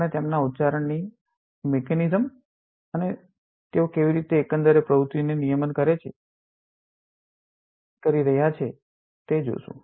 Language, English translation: Gujarati, We will see the mechanism of their accent and how they are modulating the overall activity